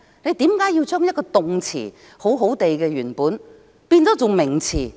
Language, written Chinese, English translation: Cantonese, 為何要將一個好好的動詞無故變成名詞？, Why is there the need to give? . Why must they turn a verb which is used properly into a noun for no reason?